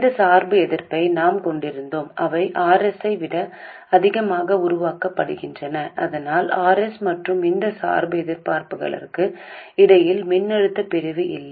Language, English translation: Tamil, And we have these bias resistors which are made to be much more than R S so that there is no voltage division between R S and these bias resistors